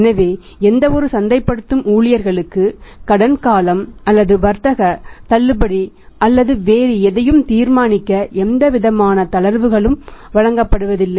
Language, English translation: Tamil, So, that no marketing of the staff people are given any laxity to decide the credit period or that trade discount or anything else